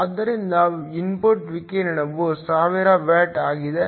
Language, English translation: Kannada, So, the input radiation is 1000 watts